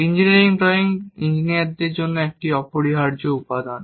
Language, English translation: Bengali, Engineering drawing is essential component for engineers